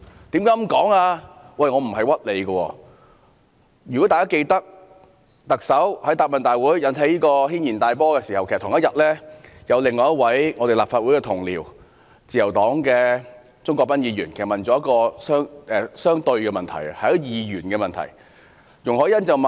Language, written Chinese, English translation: Cantonese, 大家或許還記得，在特首於答問會引起軒然大波的同一天，另一位立法會同事，就是自由黨的鍾國斌議員提出了一項相對的質詢，是二元的問題。, Perhaps Members may recall that on the day the Chief Executive stirred up a hornets nest at the Question and Answer Session another colleague of the Legislative Council Mr CHUNG Kwok - pan from the Liberal Party asked a conflicting question a question of dichotomy